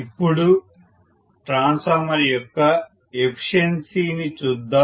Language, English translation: Telugu, Now let us look at efficiency of a transformer